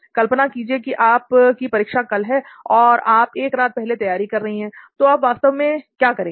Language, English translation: Hindi, Imagine you have an exam the next day and you are going to prepare this night, so what will you be exactly doing